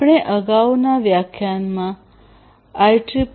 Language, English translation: Gujarati, So, we have gone through the IEEE 802